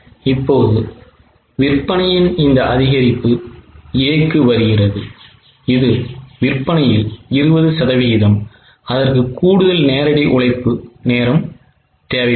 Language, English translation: Tamil, Now, this increase in sales comes to A, which is 20% of sales, it will require extra direct labor hour